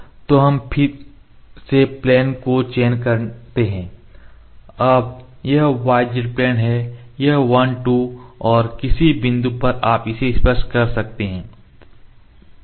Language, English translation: Hindi, So, we select the plane again now this is y z plane this is y z plane 1 2 and at any point you can just touch it 3 ok